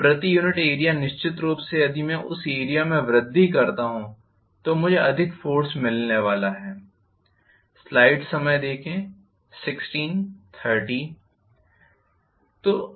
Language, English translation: Hindi, Per unit area of course if I increase the area I am going to get definitely more force